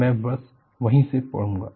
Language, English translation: Hindi, I would just read from that